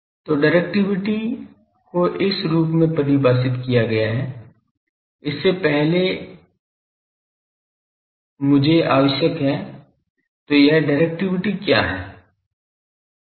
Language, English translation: Hindi, So, directivity function is defined as before that I need to already , so what is or what is this directivity function